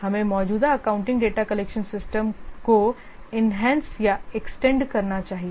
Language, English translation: Hindi, We should enhance or extend the existing accounting data collection systems